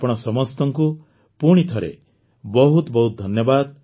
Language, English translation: Odia, Once again, many thanks to all of you